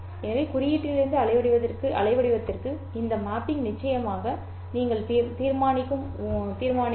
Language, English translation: Tamil, So this mapping from symbol to waveform is, of course, this is decided by you